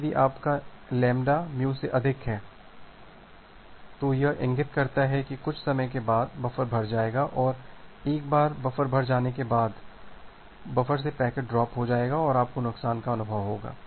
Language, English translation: Hindi, Now if your lambda is more than mu, this indicates that after some time the buffer will get filled up and once the buffer will get filled up there will be packet drop from the buffer and you will experience a loss